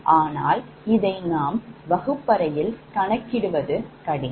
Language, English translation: Tamil, it is not possible in the classroom